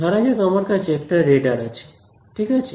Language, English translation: Bengali, Let us say I have a radar ok